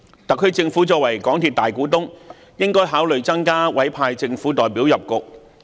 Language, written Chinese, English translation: Cantonese, 特區政府作為港鐵公司的大股東，應考慮增派政府代表加入董事局。, As the majority shareholder of MTRCL the SAR Government should consider appointing more government representatives to the Board of MTRCL